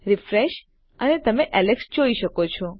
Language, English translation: Gujarati, Refresh and you can see Alex